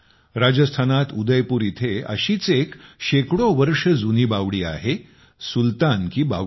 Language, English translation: Marathi, In Udaipur, Rajasthan, there is one such stepwell which is hundreds of years old 'Sultan Ki Baoli'